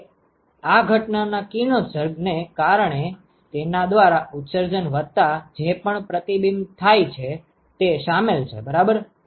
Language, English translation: Gujarati, Now this includes the emission by itself plus whatever is reflected because of the incident radiation ok